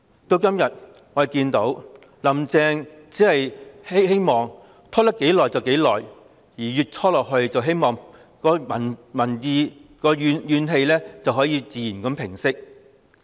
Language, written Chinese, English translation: Cantonese, 我們今天看到"林鄭"只希望能拖多久便多久，希望一直拖下去，市民的怨氣便能自然平息。, From what we see today Carrie LAM wants to procrastinate as long as possible in the hope that the further she can drag on the peoples grievances will subside naturally